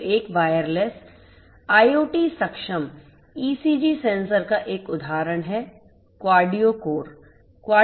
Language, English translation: Hindi, So, one example of a wireless IoT enabled ECG sensor is QardioCore